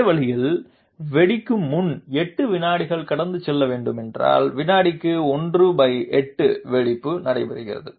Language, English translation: Tamil, In the same way, if 8 seconds are supposed to pass before the detonation therefore, 1 by 8 detonation per second is taking place